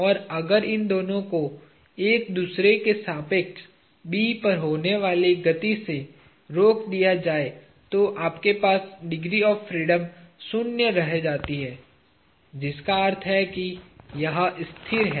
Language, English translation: Hindi, And, if these two are relatively arrested from motion at B, you have zero degrees of freedom; which means it is stationary